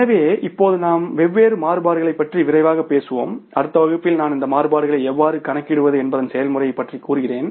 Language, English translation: Tamil, So, now we will talk about the different variances quickly and in the next class I will then talking about the say, means the process that how to calculate these variances